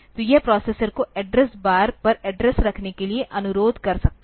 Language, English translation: Hindi, So, it can request the processor to keep the address on the address bar